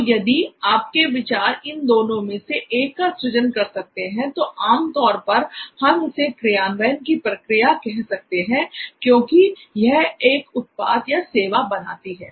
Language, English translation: Hindi, So if your ideas can lead to one of these, then usually this is the process of implementation, in it becoming a product or a service